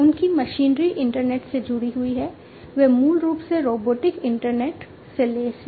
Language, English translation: Hindi, And their machinery are internet connected, they are basically robotic internet equipped machinery